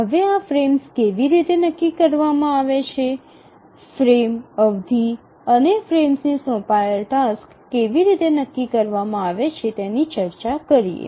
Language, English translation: Gujarati, Now let's proceed looking at how are these frames decided frame duration and how are tasks assigned to the frames